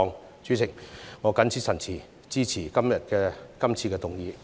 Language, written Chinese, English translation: Cantonese, 代理主席，我謹此陳辭，支持今天這項議案。, With these remarks Deputy President I support todays motion